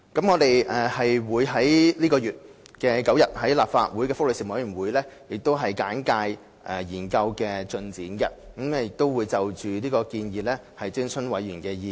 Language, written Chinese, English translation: Cantonese, 我們會在本月9日向立法會福利事務委員會簡介幼兒照顧服務研究的進展，並就建議徵詢委員的意見。, On 9 July we will brief the Legislative Council Panel on Welfare Services on the progress of the study on child care services and consult members on the recommendations